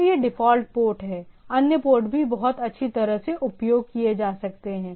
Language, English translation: Hindi, So, it is the default port, other ports can also be very well used